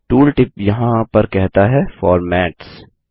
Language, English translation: Hindi, The tooltip here says Formats